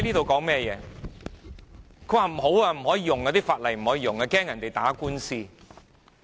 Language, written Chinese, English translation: Cantonese, 她說不可以使用這項法例，因為害怕別人打官司。, She said this Ordinance could not be used as she was afraid that people would take the Government to court